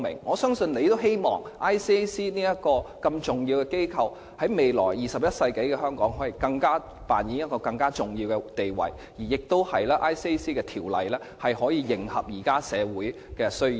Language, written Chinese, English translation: Cantonese, 我相信特首也希望 ICAC 這個重要機構在未來21世紀的香港，可以扮演更重要的地位，而《廉政公署條例》亦可以迎合現時的社會需要。, ICAC is an important agency and I am sure the Chief Executive also hopes that it can play a more important role in Hong Kong in the 21 century and that the Independent Commission Against Corruption Ordinance can address the existing needs of our society